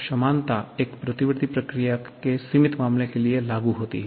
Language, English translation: Hindi, The equality holds for the limiting case of a reversible process